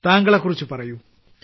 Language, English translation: Malayalam, Tell me about yourself